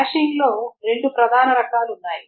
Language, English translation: Telugu, Hashing there are two main types of hashing